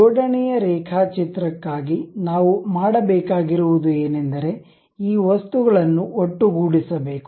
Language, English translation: Kannada, For assembly drawing, what we have to do is mate these objects